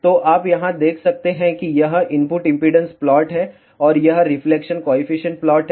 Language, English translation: Hindi, So, you can see here this is the input impedance plot and this is the reflection coefficient plot